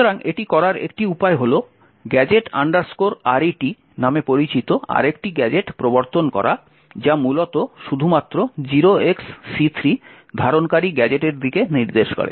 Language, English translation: Bengali, So one way to do this is by introducing another gadget known as the gadget return which essentially points to a gadget containing just 0xc3